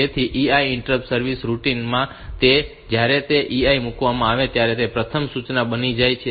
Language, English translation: Gujarati, So, EI becomes the first instruction in the interrupt service routine and when that EI is put